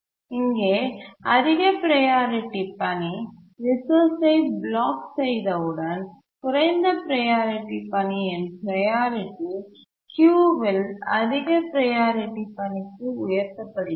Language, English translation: Tamil, Here once the high priority task blocks for the resource, the low priority task's priority gets raised to the highest priority task in the queue